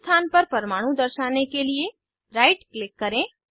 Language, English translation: Hindi, To display atoms on the first position, right click